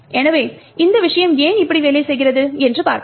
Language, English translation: Tamil, So, let us see why this thing would work